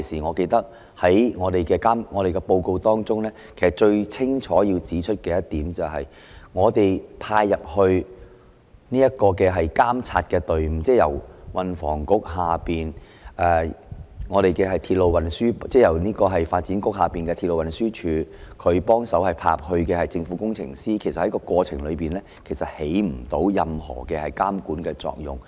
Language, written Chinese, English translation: Cantonese, 我記得我們當時的報告中，最清楚指出的一點是，派遣進行監察工作的隊伍，即由路政署轄下的鐵路拓展處派遣的政府工程師，其實在過程中產生不到任何監管作用，不能及早作出預警，讓局長掌握形勢變化。, I recall that the most explicit point in our report at that time was that the team dispatched for monitoring work ie . the Government Engineers dispatched by the Railway Development Office under the Highways Department had not been effective at all in monitoring the process nor able to alert the Secretary to the changing situation